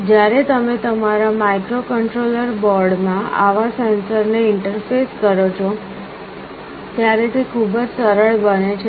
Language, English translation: Gujarati, When you are interfacing such a sensor to your microcontroller board, it becomes very easy